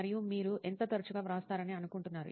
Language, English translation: Telugu, And how frequently do you think you write